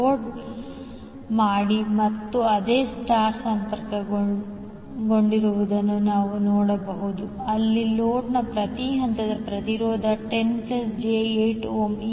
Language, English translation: Kannada, Load we can see that it is star connected again where the per phase impedance of the load is 10 plus j8 ohm